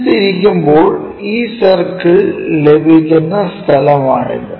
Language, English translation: Malayalam, And, when we are rotating it, this is the place where we get this circle